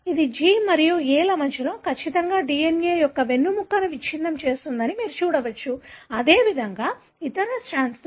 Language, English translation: Telugu, You can see that it pretty much breaks the backbone of the DNA exactly between G and A here, likewise at the other strand